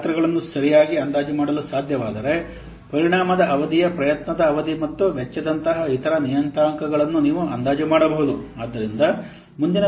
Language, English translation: Kannada, If you can estimate properly the size, then you can estimate the other parameters such as effect duration, effort, duration and cost